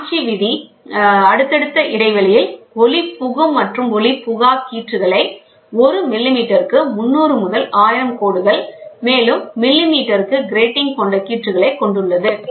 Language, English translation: Tamil, Ronchi rule consists of strips that are alternatively opaque and transmitting with spacing of 300 to 1,000 lines per millimeter, gratings per millimeter